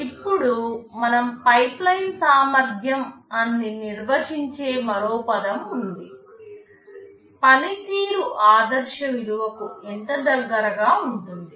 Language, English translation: Telugu, Now, there is another term we define called pipeline efficiency; how much is the performance close to the ideal value